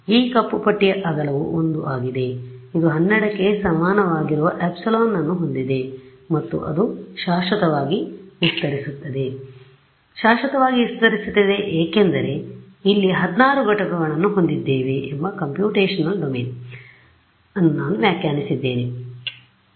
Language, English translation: Kannada, So, the width of this black strip is 1 it has epsilon equal to 12 and it extends forever of course, it extends forever because I have defined the computational domain about we have 16 units over here right